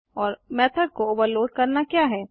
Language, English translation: Hindi, The process is called method overloading